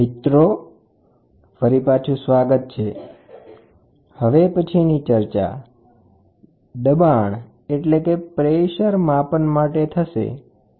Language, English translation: Gujarati, Welcome back, the next topic of discussion is going to be Pressure Measurement